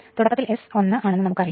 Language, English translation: Malayalam, At start S is equal to 1 we know